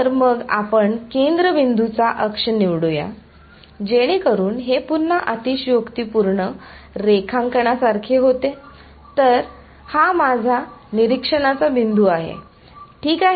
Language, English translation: Marathi, So, we will choose the centre point axis so, what becomes like this again exaggerated drawing ok, so this is my observation point ok